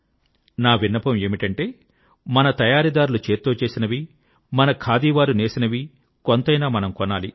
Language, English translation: Telugu, And I keep insisting that we must buy some handloom products made by our weavers, our khadi artisans